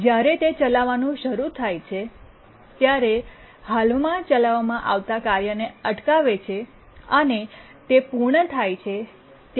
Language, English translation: Gujarati, When it starts to run, preempts the currently executing tasks, and when it completes